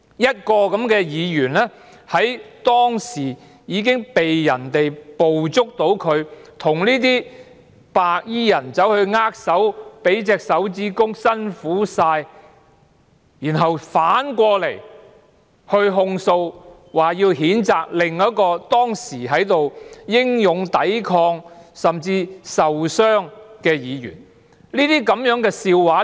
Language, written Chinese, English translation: Cantonese, 一名當時被捕捉到與白衣人握手、舉起拇指說道"辛苦了"的議員，竟然控訴或譴責另一位當時英勇抵抗以致受傷的議員。, A Member who was captured on camera shaking hands with white - clad gangsters and uttering such words as Thanks for your hard work with a thumbs - up at the time has nonetheless sought to accuse or censure another Member who was injured during his valiant resistance